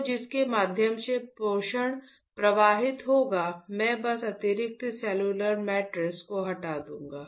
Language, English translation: Hindi, So, through which the nutrition will flow say I will just remove the extra cellular matrix